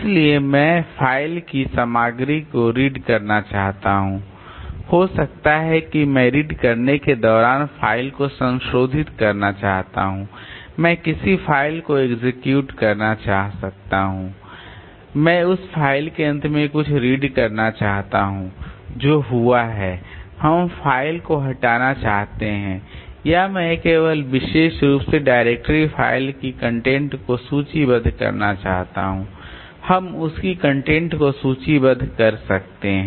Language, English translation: Hindi, So, I may want to read the content of the file, I may want to modify the file by doing the right, I may want to execute a file, I may want to write something at the end of the file that is happened, I may want to delete the file or I may want to just list the content of the particular the directory files, so list the content of that